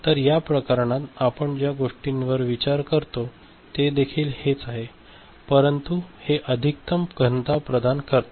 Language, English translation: Marathi, So, that is also something which we consider in this case, but it provides the maximum density